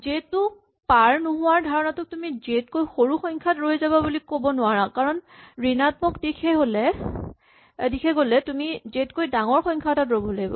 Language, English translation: Assamese, This idea about not crossing j it is not same as saying stops smaller than j because if you are going in the negative direction you want to stop at a value larger than j